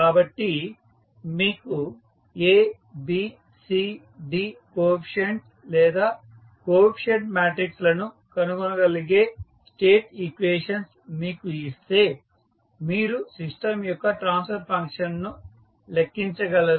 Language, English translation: Telugu, So, if you are given the state equations where you can find out the A, B, C, D coefficients or the coefficient matrices you can simply calculate the transfer function of the system